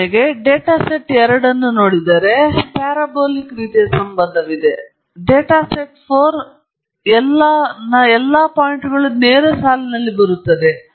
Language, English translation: Kannada, For example, if you look at the data set 2, there is a parabolic kind of relationship, whereas data set 4, all the points fall on a straight line